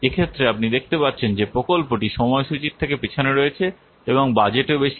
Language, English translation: Bengali, So in this case, it is very much apparent that the project is behind the schedule and over the budget